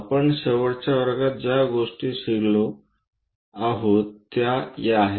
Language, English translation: Marathi, These are the things what we have learned in the last class